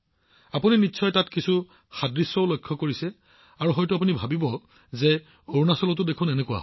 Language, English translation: Assamese, Well, you must have noticed some similarities there too, you would have thought that yes, it is the same in Arunachal too